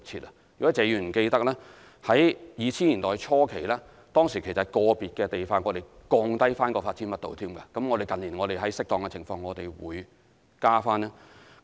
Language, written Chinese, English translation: Cantonese, 如果謝議員記得，於2000年代初期，當時在個別地區還降低發展密度，而近年我們在適當情況下會提高。, Mr TSE may recall that in early 2000s the development density in individual districts was even reduced and it was only raised in recent years under appropriate circumstances